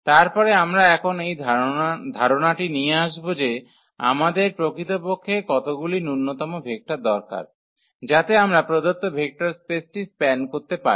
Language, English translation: Bengali, Then we will come up with the idea now that how many actual minimum vectors do we need so, that we can span the given vector space